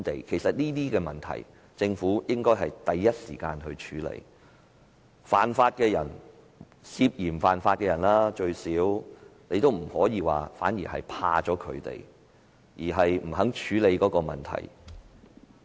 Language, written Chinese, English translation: Cantonese, 其實，政府應該第一時間處理這些問題，不可以因害怕犯法的人——最少是涉嫌犯法的人——而不肯處理問題。, Actually the Government should tackle these problems immediately; it should not be reluctant to tackle these problems because it was afraid of the law breakers―at least the suspected law breakers